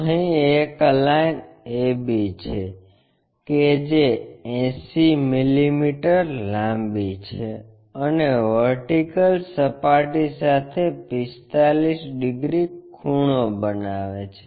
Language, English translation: Gujarati, Here, there is a line AB, which is 80 mm long and makes 45 degrees inclination with vertical plane